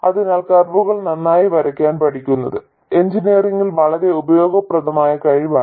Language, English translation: Malayalam, So learning to sketch curves well is actually a very useful skill in engineering